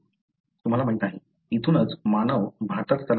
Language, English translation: Marathi, You know, from here somewhere the humans migrated to India